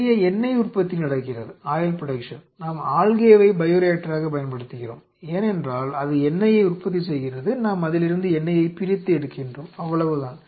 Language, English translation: Tamil, Lot of oil production which is happening the algae we are using algae as the bioreactor, because it is producing algae we have isolating the oil and that is it